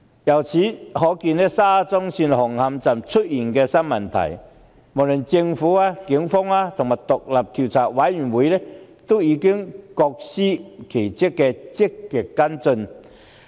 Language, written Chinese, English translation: Cantonese, 由此可見，沙中線紅磡站出現的新問題，無論政府、警方及獨立調查委員會均已各司其職，積極跟進。, Hence it is evident that the Government the Police and the Commission are performing their respective duties in proactively following up the new issues at Hung Hom Station of SCL